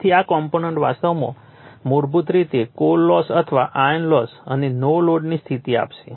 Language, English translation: Gujarati, So, this component actually basically it will give your core loss or iron loss and the no load condition right